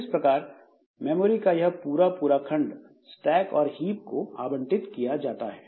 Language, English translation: Hindi, So, this entire chunk of memory space, so this is allocated to stack plus hip